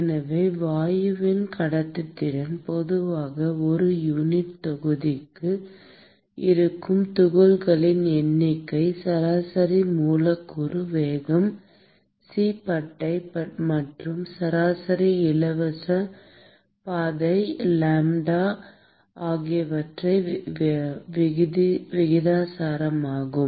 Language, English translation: Tamil, So, the conductivity of the gas is typically proportional to the number of particles per unit volume that is present, the mean molecular speed c bar, and the mean free path lambda